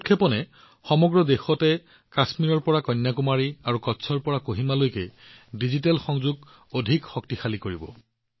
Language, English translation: Assamese, With this launching, from Kashmir to Kanyakumari and from Kutch to Kohima, in the whole country, digital connectivity will be further strengthened